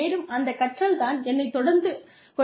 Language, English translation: Tamil, And, it is that learning, that keeps me going